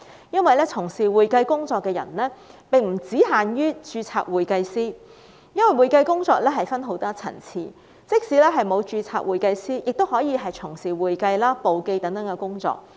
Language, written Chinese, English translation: Cantonese, 因為從事會計工作的並不限於註冊會計師，會計工作分很多層次，即使不是註冊會計師，亦可以從事會計、簿記等工作。, Certified public accountants are not the only persons who engage in the accounting work . There are many levels of accounting work and people can perform accounting bookkeeping and other duties even if they are not certified public accountants